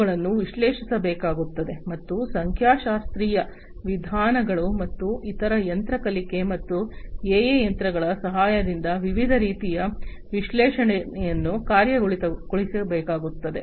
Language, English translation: Kannada, Those will have to be analyzed, and different kinds of analytics will have to be executed with the help of statistical methods and different other machine learning and AI techniques